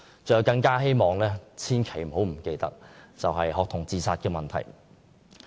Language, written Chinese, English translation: Cantonese, 最後，我希望政府不要忽視學童自殺問題。, Finally it comes to the issue of student suicide . I hope the Government would not neglect this issue